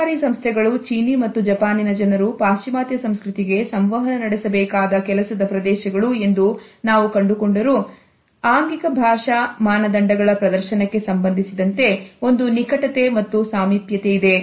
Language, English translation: Kannada, Though we find that those business houses and those work areas where the Chinese and Japanese people have to interact with the western culture, there is a closeness and proximity as far as the display of body linguistic norms are concerned